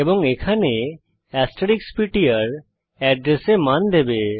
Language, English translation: Bengali, And here asterisk ptr will give the value at the address